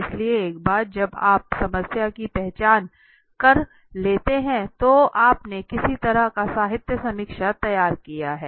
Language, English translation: Hindi, So you identified the problem so once you identify the problem you did some kind of a literature review okay, literature